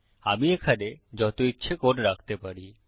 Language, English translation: Bengali, I can put as much code here as I want